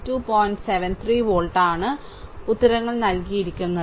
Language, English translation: Malayalam, 73 volt, answers are given